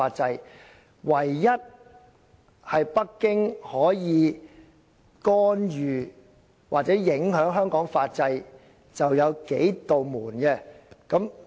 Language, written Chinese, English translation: Cantonese, 北京唯一可以干預或影響香港法制的，便只有"數扇門"。, Only through a few doors can Beijing meddle in or influence Hong Kongs legal system